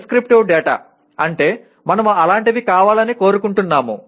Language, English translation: Telugu, Prescriptive data means we want something to be such and such